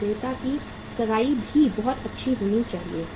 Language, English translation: Hindi, And the vendor engagement should also be very good